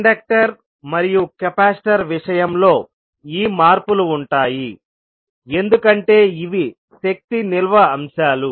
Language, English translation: Telugu, These changes would be there in case of inductor and capacitor because these are the energy storage elements